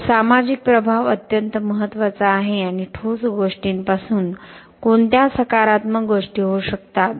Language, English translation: Marathi, So, the social impact is very very important and what are the positive things that can from concrete